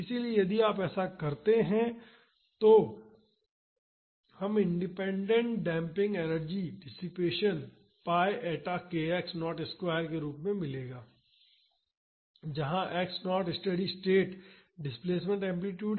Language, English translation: Hindi, So, if you do that we would get the energy dissipated in independent damping as pi eta k x naught square, x naught is the steady state displacement amplitude